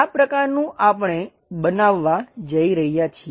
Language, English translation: Gujarati, Such kind of construction what we are going to make it